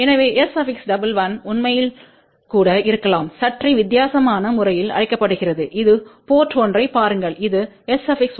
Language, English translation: Tamil, So, S 11 actually can also be termed in a slightly different way that is look at the port 1 here this is S 11